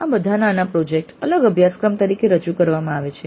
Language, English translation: Gujarati, These are all mini projects offered as separate courses